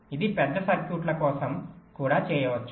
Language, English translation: Telugu, it can be done for large circuits also